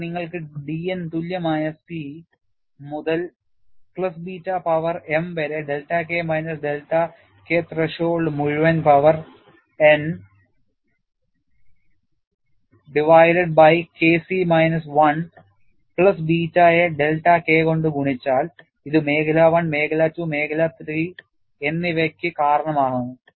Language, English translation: Malayalam, Then, you have d a by d N equal to C into 1 plus beta power m multiplied by delta K minus delta K threshold whole power n divided by K C minus 1 plus beta multiplied by delta K; this accounts for region one, region two and region three; this is by Erdogan and Ratwani